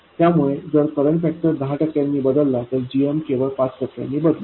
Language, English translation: Marathi, So if current factor changes by 10 percent, GM changes only by 5 percent